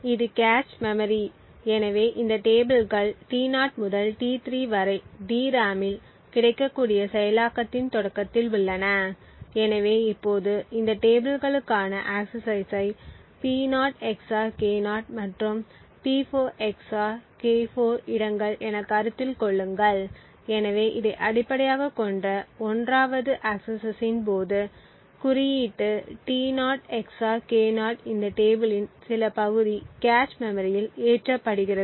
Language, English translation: Tamil, So this is the cache memory, so these tables T0 to T3 are at the start of execution available in the DRAM, so now consider the axis to this tables at locations P0 XOR K0 and P4 XOR K4, so during the 1st access based on this index T0 XOR K0 some part of this table is loaded into the cache memory